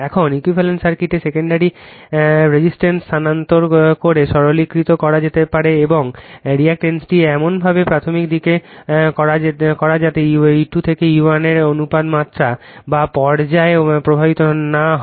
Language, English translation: Bengali, Now, the equivalent circuit can be simplified by transferring the secondary resistance and reactance is to the primary side in such a way that the ratio of of E 2 to E 1 is not affected to magnitude or phase